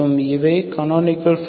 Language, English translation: Tamil, So these are canonical forms